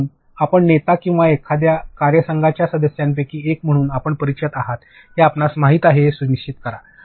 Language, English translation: Marathi, So, make sure that you know you are aware as the leader or as one of the members of your team